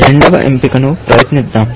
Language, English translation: Telugu, Let us try the second option